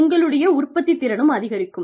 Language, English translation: Tamil, Your productivity will go up